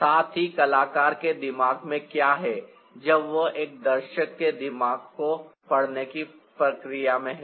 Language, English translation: Hindi, what is there in the mind of the artist when he is in the process of reading the mind of a viewer